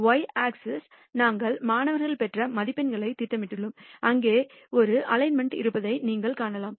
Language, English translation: Tamil, And the y axis we have plotted the marks obtained by the student and you can see there is an alignment